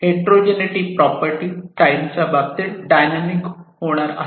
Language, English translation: Marathi, And this heterogeneity itself is going to be dynamic with respect to time